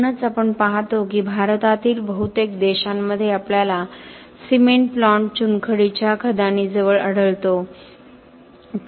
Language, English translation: Marathi, So that is why we see that in most countries in India typically we will find the cement plant very near a limestone quarry